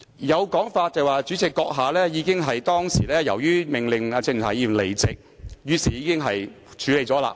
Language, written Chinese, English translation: Cantonese, 有說法指由於主席閣下當時已命令鄭松泰議員離席，故可視為已作出處理和懲罰。, There is the view that since the President already ordered Dr CHENG Chung - tai to withdraw from the meeting at that time we may take it as treatment and punishment for the acts